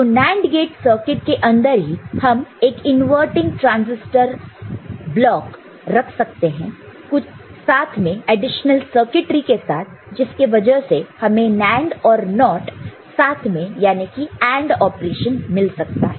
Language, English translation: Hindi, So, in a NAND gate circuit itself a inverting transistor block can be put with some associate additional circuitry by which you can get NAND and NOT together AND operation